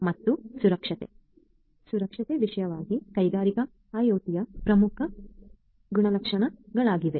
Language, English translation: Kannada, And safety; safety particularly is a important characteristics of the industrial IoT